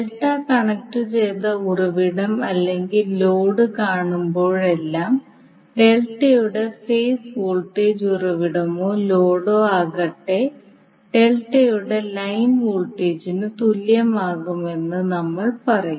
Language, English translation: Malayalam, So whenever we see the delta connected source or load, we will say that the phase voltage of the delta will be equal to line voltage of the delta whether it is source or load